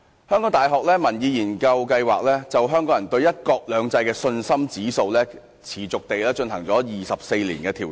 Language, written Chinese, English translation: Cantonese, 香港大學民意研究計劃就香港人對"一國兩制"的信心指數，持續地進行了24年調查。, The Public Opinion Programme of the University of Hong Kong has been continually conducting surveys on Hong Kong peoples confidence in one country two systems for 24 years